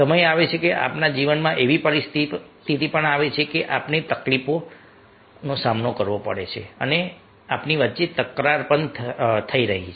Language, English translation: Gujarati, the time comes, the situation comes in our life that we are having problems, we are having conflicts